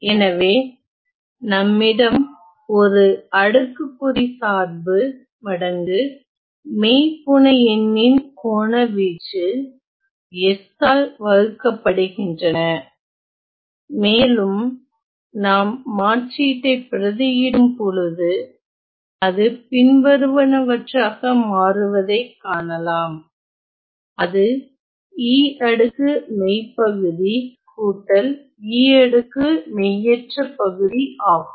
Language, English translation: Tamil, So, we have an exponential function times some argument divided by some s and when we plug in our substitution we can see that it becomes the following it becomes e to the power real of something plus e to the power imaginary of something